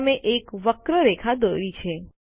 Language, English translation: Gujarati, You have drawn a curved line